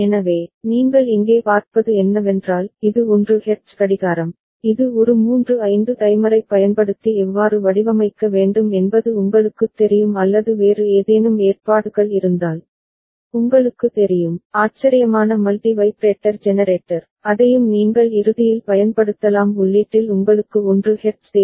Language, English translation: Tamil, So, what you see over here is this is the 1 hertz clock which you know how to design using a triple 5 timer or if you have any other arrangement some stable, you know, astable multi vibrator generator that also you can use ultimately what you need at the input is a 1 hertz